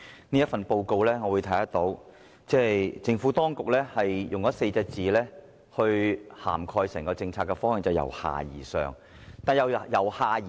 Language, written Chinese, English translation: Cantonese, 從這份報告可見，政府當局是以4個字來涵蓋整項政策的方向，也就是"由下而上"。, It can be seen from this Report that the Governments policy on bazaar can be summed up in two words ie . a bottom - up approach